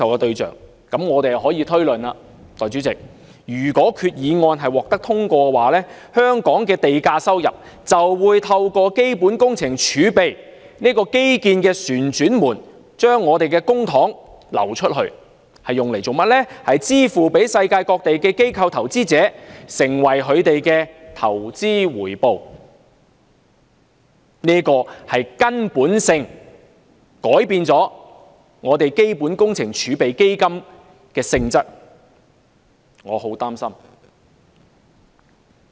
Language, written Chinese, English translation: Cantonese, 代理主席，那麼我們便可以推論，如果擬議決議案獲得通過，香港的地價收入——亦即我們的公帑——將會透過基本工程儲備基金這個"基建旋轉門"而流出，用作支付世界各地的機構投資者，成為他們的投資回報，這會根本地改變基本工程儲備基金的性質，這使我相當擔心。, Deputy President we may then infer that with the passage of the proposed Resolution the land premium of Hong Kong―namely our public money―will flow through the infrastructure revolving door created by CWRF as the investment return paid to institutional investors worldwide resulting in a fundamental change to the nature of CWRF which worries me a lot